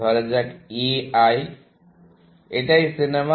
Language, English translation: Bengali, Let us say, A I, the movie